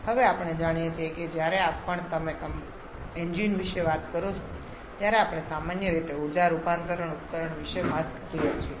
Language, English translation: Gujarati, Now we know that whenever you talk about engines, we are generally talking about an energy conversion device